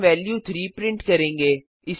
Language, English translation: Hindi, We print the value as 3